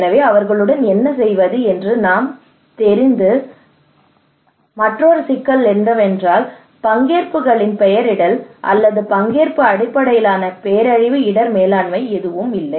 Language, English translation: Tamil, So we need to know what to do them, another problem is that there is no single nomenclature of participations or participatory based disaster risk management